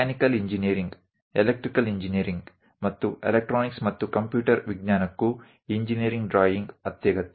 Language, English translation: Kannada, Even for mechanical engineering, electrical engineering, and electronics, and computer science engineering drawing is very essential